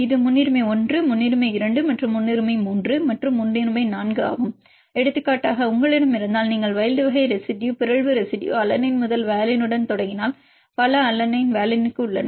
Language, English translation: Tamil, It will give the priority this is a priority 1, priority 2 and priority 3 and priority 4 for example, if you have if you start with wild type residue, mutant residue alanine to valine there are many alanine to valine